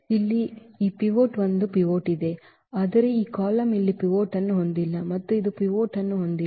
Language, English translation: Kannada, So, this pivot here there is a there is a pivot, but this column does not have a pivot here also it does not have a pivot